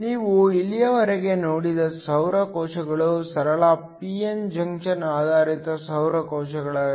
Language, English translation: Kannada, The solar cells you have seen so far are simple p n junction based solar cells